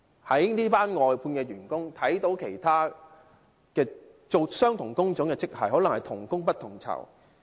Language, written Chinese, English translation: Cantonese, 這些外判員工與其他從事相同工種的職系的人員，可能是同工不同酬。, These outsourced workers and other civil servants of relevant grades may be doing the same work but they are paid differently